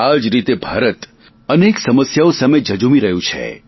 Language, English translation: Gujarati, India is grappling with diverse challenges